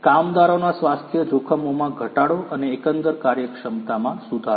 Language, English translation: Gujarati, Reduction of the health hazards of the workers and improvement in overall efficiency